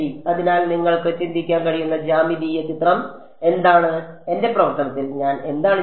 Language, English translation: Malayalam, So, what is the geometric picture you can think of how, what am I doing to my function